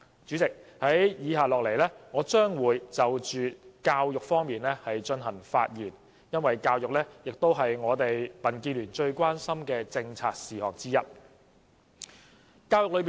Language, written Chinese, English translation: Cantonese, 主席，接下來我會就教育議題發言，因為教育是民建聯最關心的一項政策。, President I would like to speak on education issues because the education policy is the greatest concern of the Democratic Alliance for the Betterment and Progress of Hong Kong DAB